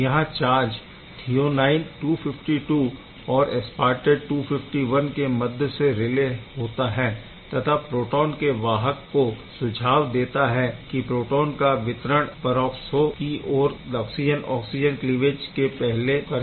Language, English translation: Hindi, So, this charge relay through this threonine 252 and aspartate 251 it is suggested for the proton conduit to deliver proton to peroxo before oxygen oxygen cleavage ok